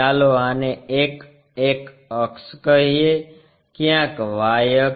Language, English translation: Gujarati, Let us call this one X axis, somewhere Y axis